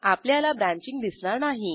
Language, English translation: Marathi, We do not see the branching